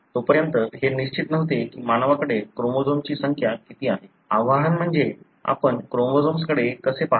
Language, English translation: Marathi, Until then, it was not sure as to what is the number of chromosomes human have because of the challenge, the challenge being how do you look at chromosomes